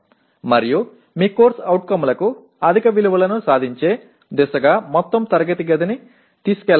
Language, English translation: Telugu, And push the entire class towards attaining higher values for your COs